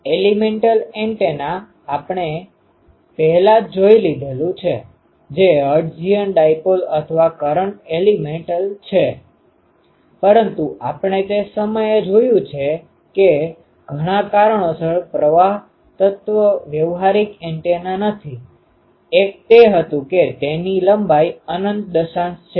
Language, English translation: Gujarati, Already, we have seen the elemental antenna that is hertzian dipole or current element, but we have seen the time that current element is not a practical antenna; because of several reasons, one was that it is length is infinite decimal